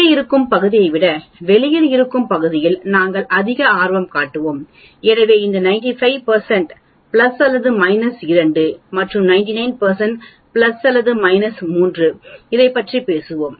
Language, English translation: Tamil, We will be more interested in the area that is outside, rather than the area that is inside, so this 95 percent spans plus or minus 2 sigma and 99 percent spans plus or minus 3 sigma